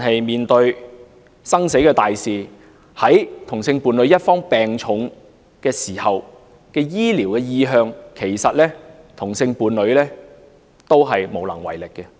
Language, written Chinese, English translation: Cantonese, 面對生死大事，例如同性伴侶一方病重時的醫療意向，其實同性伴侶另一方都是無能為力。, When it comes to life - and - death matters such as the treatment preference of a same - sex partner with serious illness there is indeed very little the other same - sex partner can do